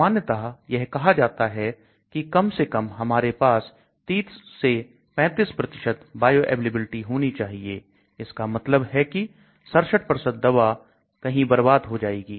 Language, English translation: Hindi, Generally, they say about 30 35% at least we should have bioavailability, that means 67% of the drug is wasted somewhere